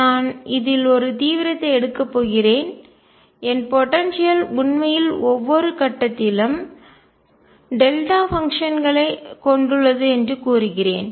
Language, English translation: Tamil, And I am going to take an extreme in this and say that my potential actually consists of delta functions at each point